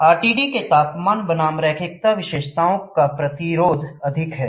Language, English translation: Hindi, The resistance versus temperature linearity characteristics of RTD is higher